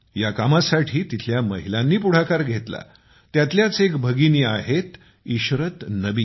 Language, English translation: Marathi, The women here came to the forefront of this task, such as a sister Ishrat Nabi